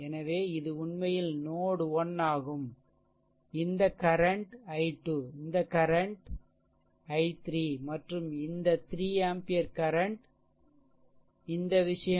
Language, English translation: Tamil, So, this is actually node 1 this current is your i 2, this current is your i 3 and this 3 ampere current is this thing, right